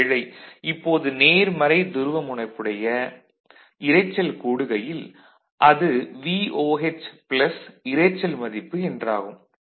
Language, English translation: Tamil, So, what is the now if noise gets added, but if it is positive polarity it will be VOH plus some value then there is no issue